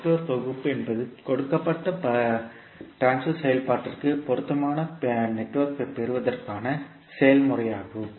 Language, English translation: Tamil, Network Synthesis is the process of obtaining an appropriate network for a given transfer function